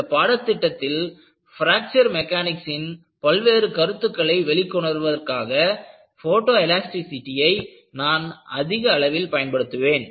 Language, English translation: Tamil, And, I would use extensively, the use of photoelasticity in bringing out various concepts of Fracture Mechanics in this course